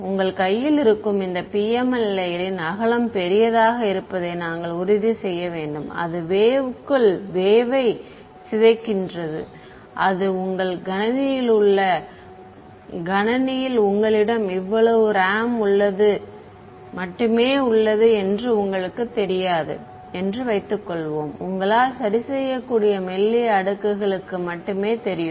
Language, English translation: Tamil, We have to ensure that the width of this PML layer which is in your hand had better be large enough that the wave decays inside the wave supposing it does not supposing you know you have only so much RAM on your computer and you can only fix you know thin layer